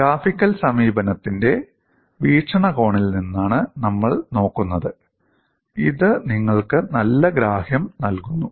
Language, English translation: Malayalam, We are looking at from the point of view of graphical approach; it gives you a good amount of understanding